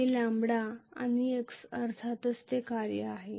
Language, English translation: Marathi, This is the function of lambda and x of course